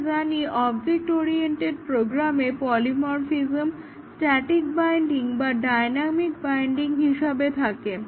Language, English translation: Bengali, So, we know that polymorphism is present in object oriented programming either a static binding or is a dynamic binding